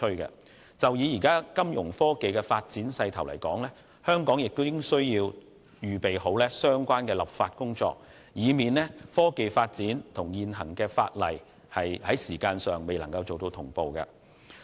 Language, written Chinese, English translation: Cantonese, 針對目前金融科技的發展勢頭，香港亦須籌備相關的立法工作，以防現行法例未能追上科技發展的步伐。, In light of the momentum of financial technology development Hong Kong must also make preparations for the enactment of legislation lest the existing legislation should fail to catch up with the pace of technological development